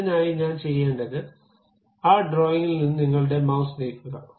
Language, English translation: Malayalam, For that purpose, what I have to do, move your mouse out of that drawing